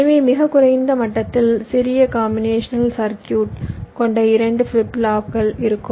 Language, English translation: Tamil, so in the lowest level there will be two flip flop with small combination circuit in between